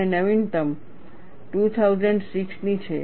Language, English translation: Gujarati, And the latest one is with the 2006